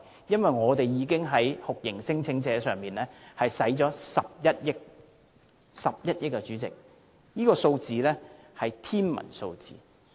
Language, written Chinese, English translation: Cantonese, 因為我們已在酷刑聲請者身上花了11億元，代理主席，是11億元，這實在是一個天文數字。, We have already spent 1.1 billion on these torture claimants Deputy President an astronomical figure of 1.1 billion